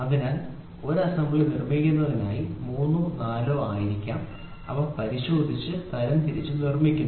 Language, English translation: Malayalam, So, for producing 1 assembly may be 3 4 we would have checked and sorted out and then made